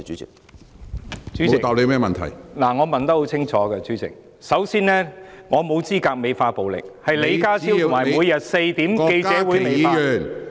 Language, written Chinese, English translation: Cantonese, 主席，我的質詢很清楚，首先，我沒有資格美化暴力，是李家超及每天4時舉行的記者會美化......, President my question is very clear . First of all I am not qualified to glorify violence . It is John LEE and the press conference at 4col00 pm daily that glorify